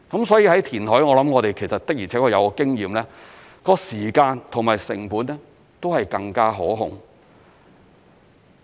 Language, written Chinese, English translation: Cantonese, 所以填海我們的而且確有經驗，在時間或成本上是更加可控的。, We are indeed more experienced in reclamation which is more manageable in terms of time and costs